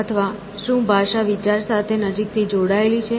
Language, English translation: Gujarati, Or, is thinking closely tied to language